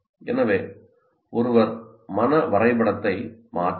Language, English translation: Tamil, So one can modify the mind map